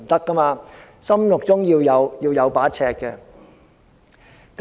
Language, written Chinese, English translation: Cantonese, 我們心中要有一把尺。, There should be a yardstick in everyones mind